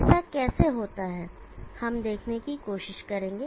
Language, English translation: Hindi, How that happens we will be trying to see